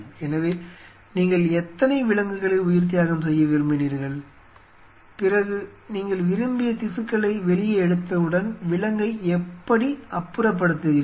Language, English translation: Tamil, So, then how many you wanted to kill, then once you take out your desired tissue how you dispose the animal